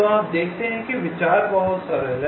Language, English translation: Hindi, see, the idea is simple